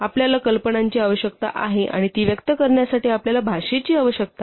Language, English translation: Marathi, So, you need ideas and you need a language to express them